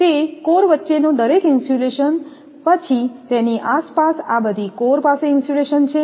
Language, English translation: Gujarati, That individual insulation between the core then around that all this cores you have the insulation